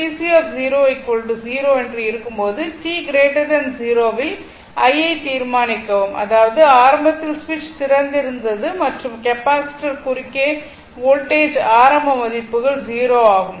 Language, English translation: Tamil, Determine i for t greater than 0 given that V C 0 is 0; that means, initially switch was open and initial values of voltage across the capacitor is 0